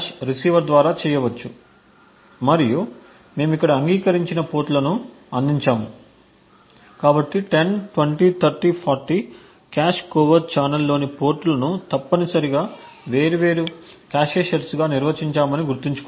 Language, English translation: Telugu, /receiver and we provided the agreed upon ports over here, so 10, 20, 30, 40 so recollect that we define the ports in the cache covert channel as essentially the different cache sets